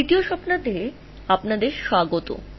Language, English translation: Bengali, So, welcome to week 3